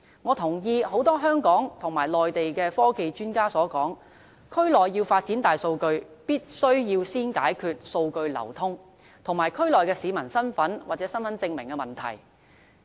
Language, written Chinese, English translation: Cantonese, 我同意很多香港和內地的科技專家所說，區內要發展大數據，必須先解決數據流通，以及區內市民的身份或身份證明的問題。, I agree with the view of many scientific and technological experts in Hong Kong and the Mainland . In order to development big data in the Bay Area we must first solve the problem of data flow and identification or personal identification of the people in the region